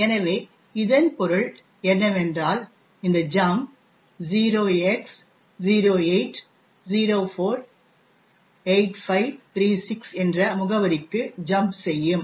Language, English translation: Tamil, So, what it means is that this jump would jump to the address 08048536